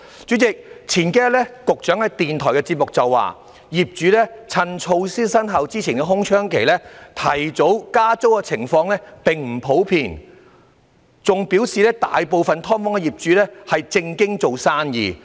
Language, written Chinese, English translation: Cantonese, 主席，數天前，局長在電台節目中表示，業主趁措施生效前的空窗期提早加租的情況並不普遍，更表示大部分"劏房"業主是"正經做生意"。, President the Secretary said in a radio programme several days ago that it was not common that landlords would take advantage of the window period to advance the rent increase before the measures come into effect . He even said that most landlords of SDUs were doing business decently